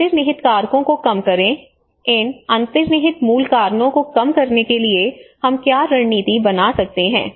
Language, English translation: Hindi, Reduce the underlying factors; what are the strategies that we can implement to reduce these underlying root causes